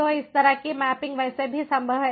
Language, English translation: Hindi, so this kind of mapping is possible, is possible, so any way